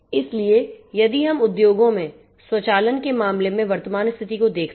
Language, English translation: Hindi, So, if we look at the current state of practice in the case of automation in industries